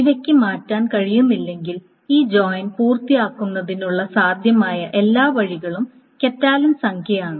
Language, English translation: Malayalam, So if this cannot change, then the total possible ways of completing this join is the catalan number